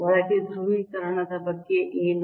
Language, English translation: Kannada, what about the polarization inside